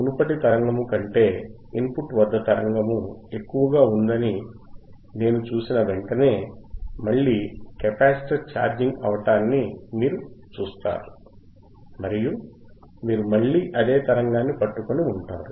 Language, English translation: Telugu, As soon as I see the signal at the input is higher than the previous signal higher than this particular signal right, you see the capacitor again starts charging again start chargingand you will again keep on holding the same signal